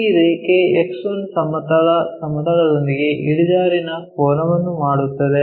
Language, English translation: Kannada, This line X1 is make an inclination angle with the horizontal plane